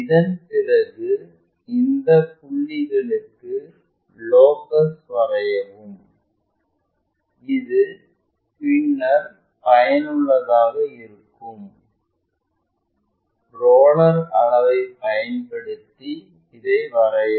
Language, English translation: Tamil, Once done draw locus for these points, which will be useful at later stage using roller scale draw this